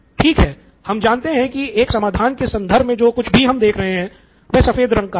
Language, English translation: Hindi, Okay now we know that something that we are looking for in terms of a solution is white in color